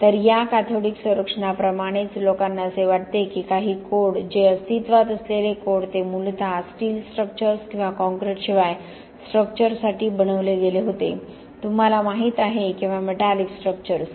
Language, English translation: Marathi, So like in this cathodic protection also people think that some of the codes which, existing codes they were originally made for steel structures or structures without concrete, you know or metallic structures